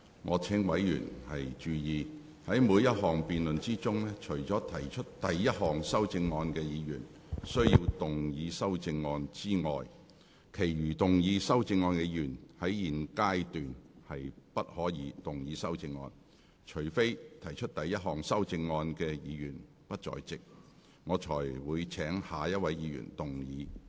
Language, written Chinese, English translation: Cantonese, 我請委員注意，在每項辯論中，除了提出第一項修正案的議員須動議修正案外，其餘提出修正案的議員，在現階段不可動議修正案。除非提出第一項修正案的議員不在席，我才會請下一位議員動議修正案。, I would like to draw Members attention to the point that in every debate only the Member proposing the first amendment should move his amendment whereas the other Members who have proposed amendments cannot move their amendments at this stage unless the Member who proposed the first amendment is not in the Chamber in which case I will call upon the next Member to move his amendment